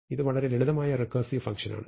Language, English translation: Malayalam, So it is a very simple recursive thing